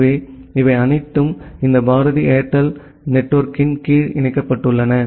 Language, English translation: Tamil, So, all of them are connected under this Bharti Airtel network